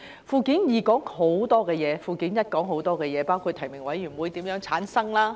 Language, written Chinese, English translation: Cantonese, 附件二涵蓋很多事項，附件一亦涵蓋很多事項，包括選舉委員會如何產生。, Annex I likewise covers a quite a number of issues including the formation of the Election Committee EC